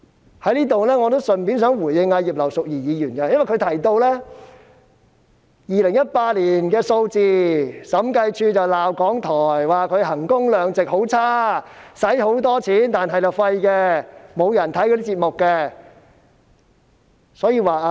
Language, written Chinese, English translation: Cantonese, 我想順道在此回應葉劉淑儀議員，她剛才提到2018年的數字，說當年審計署曾批評港台在衡工量值方面表現差勁，花了很多錢，卻沒有效果，節目沒有人收看。, Here I would like to respond to Mrs Regina IP in passing . Just now she quoted the figures of 2018 saying that the Audit Commission had criticized RTHK for doing a poor job in terms of value for money . A lot of money had been spent to no avail and no one watched the programmes